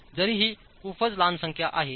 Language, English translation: Marathi, It is a very small number though